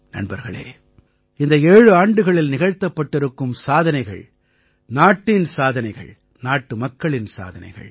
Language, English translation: Tamil, Friends, whatever we have accomplished in these 7 years, it has been of the country, of the countrymen